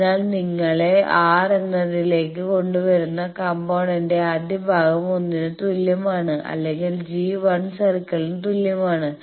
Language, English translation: Malayalam, So, the first part of the component that brings you to either R is equal to 1 or g is equal to 1 circle and the second part brings you to the centre